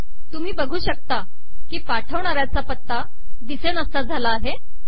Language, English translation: Marathi, You can see that the from address has disappeared from here